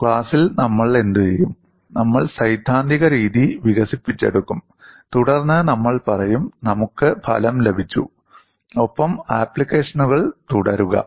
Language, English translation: Malayalam, What we would do in the class is we would develop the theoretical method, and then we would say, we have got the result, and carry on with applications